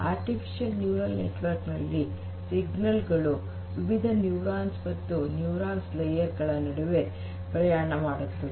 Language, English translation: Kannada, But before that, so in a deep neural network, the signals basically travel between different neurons and layers of neurons in artificial neural network